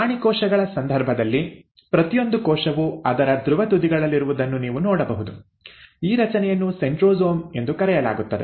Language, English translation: Kannada, Now, in case of animal cells, what you find is each cell at one of its polar end has this structure called as the centrosome which actually is made up of centrioles